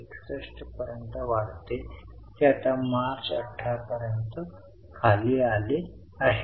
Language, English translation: Marathi, 61, it has again gone down now till March 18